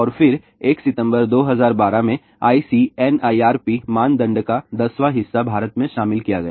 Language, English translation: Hindi, And then in September 1, 2012, one tenth of the ICNIRP norm was incorporated in India